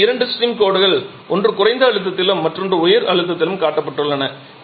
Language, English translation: Tamil, Now there are two stream lines shown one at low pressure and other at high pressure